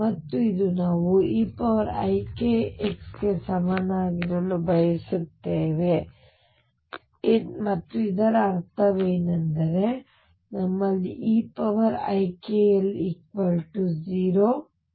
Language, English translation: Kannada, And this we want to be equal to e raise to i k x, and what this means is that we have e raise to i k L equals 1